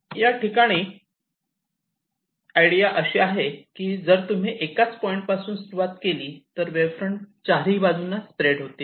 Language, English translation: Marathi, so here the initiative idea is that if you start only for one position, the wavefronts are expected to spread in all directions